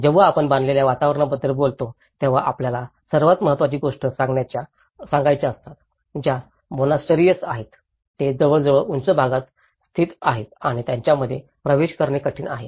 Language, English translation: Marathi, When we talk about the built environment, the most important things we have to talk is the monasteries which are almost located in the higher altitudes and they are difficult to access